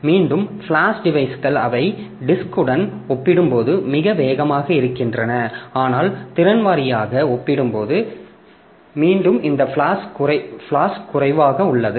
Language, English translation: Tamil, Again flash devices they are much faster compared to this but the capacity wise again it is less